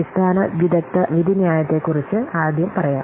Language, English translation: Malayalam, Let's first see about the basic expert judgment